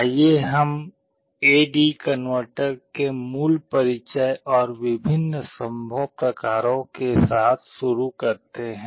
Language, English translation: Hindi, Let us start with the basic introduction to A/D converter and the various types that are possible